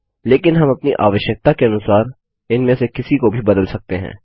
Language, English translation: Hindi, But one can change any of these to suit our requirement